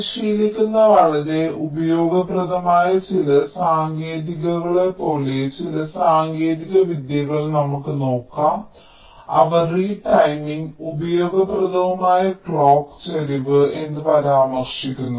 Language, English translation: Malayalam, lets see some of the techniques, like a couple of ah very useful techniques which are practiced they refer to as a retiming and useful clock skew